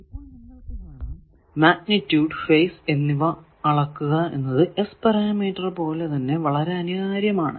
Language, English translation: Malayalam, Now, you see that magnitude and phase both measurements are necessary like S parameters they are basically complex quantities